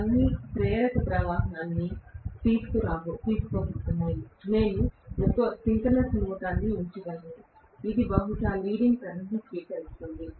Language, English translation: Telugu, They are all going to draw inductive current; I can put one synchronous motor, which will probably draw leading current